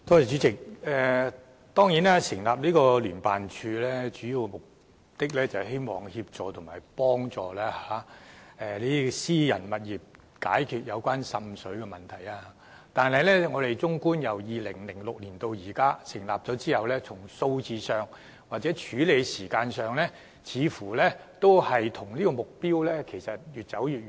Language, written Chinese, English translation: Cantonese, 主席，成立聯辦處的主要目的，是協助私人物業解決滲水問題，但自從聯辦處在2006年成立至今，就個案數字或處理時間而言，似乎距離目標越來越遠。, President the major objective of setting up JO is to assist private properties in solving seepage problems . However since the establishment of JO in 2006 it seems that we are getting farther and farther away from the target in terms of the number of cases or handling time